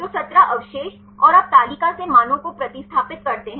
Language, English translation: Hindi, So, the 17 residues and you substitute the values from the table